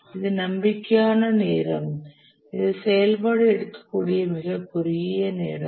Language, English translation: Tamil, The optimistic time, this is the shortest possible time which the task the activity can take